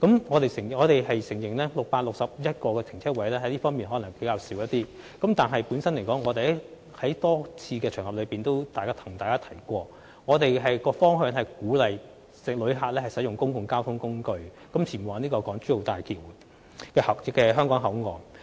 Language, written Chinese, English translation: Cantonese, 我們承認 ，661 個泊車位可能較少，但正如我們在多個場合向議員提及，我們的方向是鼓勵旅客使用公共交通工具前往大橋香港口岸。, We admit that 661 parking spaces may be a relatively small number . But as we have told Honourable Members on various occasions our direction is to encourage visitors to travel to HZMBs Hong Kong Port by public transport